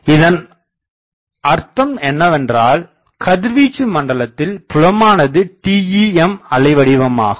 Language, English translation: Tamil, What is the meaning; that means, in the radiation zone the fields are TEM waves